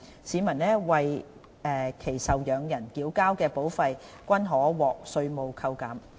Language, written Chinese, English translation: Cantonese, 市民及為其受養人繳交的保費均可獲稅務扣減。, Premiums paid by a person for himselfherself and their dependants will be allowed for deduction